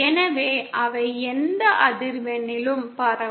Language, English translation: Tamil, So they can transmit over any frequency